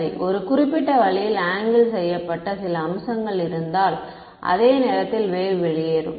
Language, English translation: Tamil, Right so, if there is some facet which is angled at a certain way the wave will go off at the same time